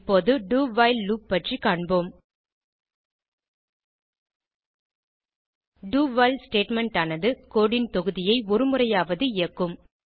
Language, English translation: Tamil, Now, let us look at do while loop The do...while statement will always execute the piece of code at least once